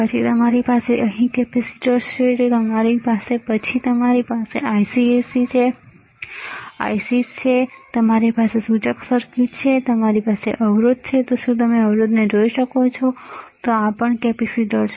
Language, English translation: Gujarati, Then you have capacitors here, here then you have then you have ICs right, you have indicator circuit, you have resistors can you see resistors, then this is also capacitor